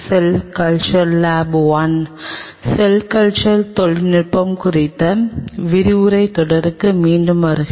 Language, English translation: Tamil, Welcome back to the lecture series on Cell Culture Technology